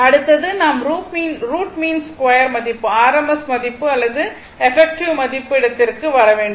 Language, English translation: Tamil, Now, next is that your we have to come to the root mean square value root mean square value r m s value or effective value right